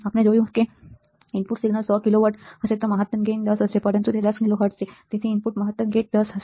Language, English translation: Gujarati, We have seen that if the input signal was 100 kilo watts the maximum gain would be 10, but it is 10 kilo hertz the input maximum gain would be 10 right